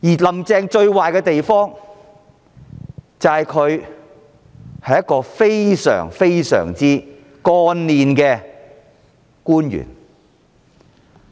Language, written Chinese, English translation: Cantonese, "林鄭"最壞的地方，就是她曾經是一位非常幹練的官員。, The worst thing about Carrie LAM is that she used to be a very capable and experienced official